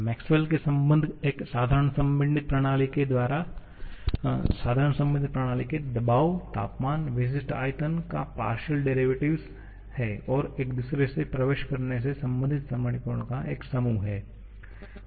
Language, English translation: Hindi, Maxwell’s relations are a group of equations to relate the partial derivatives of pressure, temperature, specific volume and entropy to each other for a simple compressible system